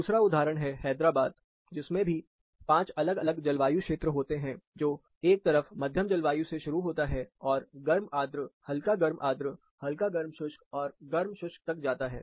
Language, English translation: Hindi, Another example, Hyderabad, this also has pretty good spread of 5 different climate zones, starting from moderate on one side, hot humid, warm humid, warm dry, and hot and dry